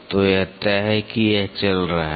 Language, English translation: Hindi, So, this is fixed this is moving